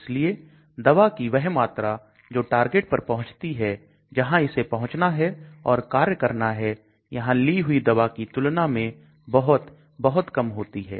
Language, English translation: Hindi, So the amount of drug that reaches the target site where it has to go and act may be much, much less when compared to drug which we take here